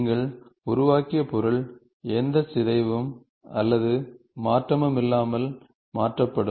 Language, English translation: Tamil, The object whatever you have created, will be shifted without any deformation or change